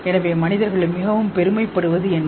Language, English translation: Tamil, So what is it that we human beings are so proud of